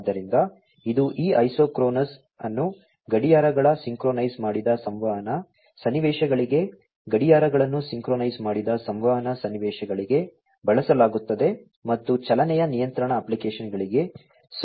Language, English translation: Kannada, So, this is this isochronous one are used for clocks synchronized communication scenarios, clocks synchronized communication scenarios, and are suitable for motion control applications